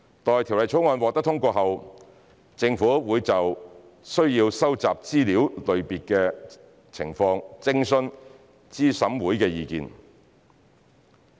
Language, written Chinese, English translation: Cantonese, 待《條例草案》獲通過後，政府會就須收集的資料類別情況徵詢資審會的意見。, Upon passage of the Bill the Government will consult CERC on the types of information to be collected